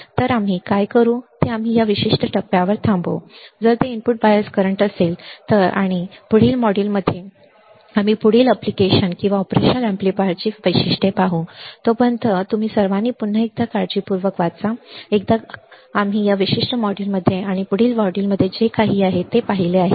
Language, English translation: Marathi, So, what we will do is we will stop at this particular point, if it is a input bias current and in the next module, we will see further applications or further characteristics of operation amplifier till then you all take care read again, once what whatever we have seen in this particular module and in the next module